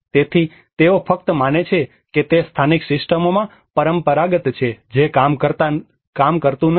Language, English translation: Gujarati, So they simply believe that it is traditional in the local systems are does not work